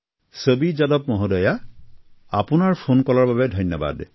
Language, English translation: Assamese, Chhavi Yadav ji, thank you very much for your phone call